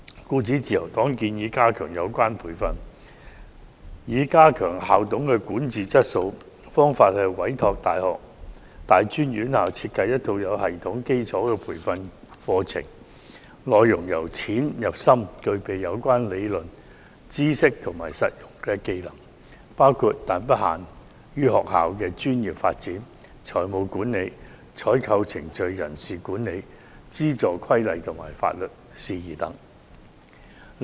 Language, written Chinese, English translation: Cantonese, 因此，自由黨建議加強有關培訓，以提高校董的管治質素，並委託大專院校設計有系統的基礎培訓課程，內容由淺入深，涵蓋相關理論、知識及實用技能，包括但不限於學校的專業發展、財務管理、採購程序、人事管理、資助規例及法律事宜等。, Therefore the Liberal Party proposes strengthening the relevant training to improve the governance quality of school managers and entrust tertiary institutions to design systematic basic training programmes . The programmes should focus on progressive training and the contents should cover the relevant theories knowledge and practical skills including but not limited to the professional development of schools financial management procurement procedures personnel management regulations on aid and legal matters etc